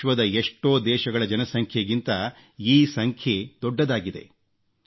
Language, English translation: Kannada, This number is larger than the population of many countries of the world